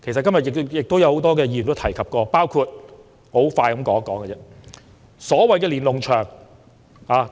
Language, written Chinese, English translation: Cantonese, 今天有很多議員提及，包括所謂的"連儂牆"。, Many Members today have mentioned the so - called Lennon Walls